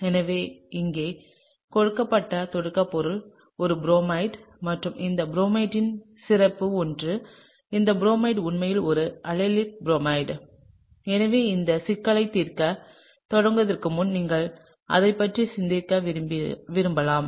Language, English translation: Tamil, So, the starting material given here is a bromide and something special about this bromide that this bromide is actually an allylic bromide; so, you may want to think about that before you sort of start solving this problem, okay